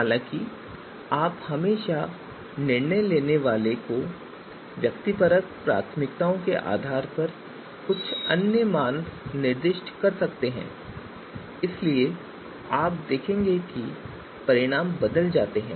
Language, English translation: Hindi, However, you can always specify some other values based on the you know decision makers’ you know subjective preferences and therefore you will see that results will also change